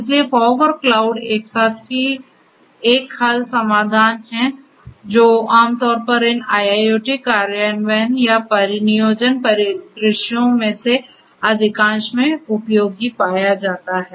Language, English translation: Hindi, So, fog and cloud together a converse solution is what is typically useful and is found useful in most of these IIoT implementation or deployment scenarios